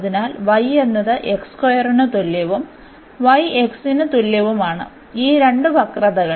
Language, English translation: Malayalam, So, we have y is equal to x square and y is equal to x these two curves